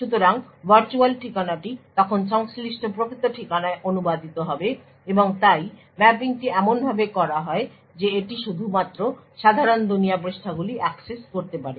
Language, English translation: Bengali, So, the virtual address would then get translated to the corresponding physical address and therefore the mapping is done in such a way that it is only the normal world pages which can be accessed